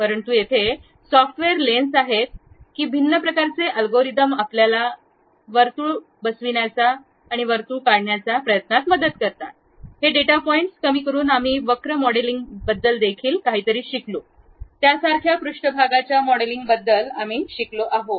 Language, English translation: Marathi, But here software actually lens that different kind of algorithm try to fit a circle around that by minimizing these data points we have learned something about surface modeling similar to that we have learned something about curve modeling also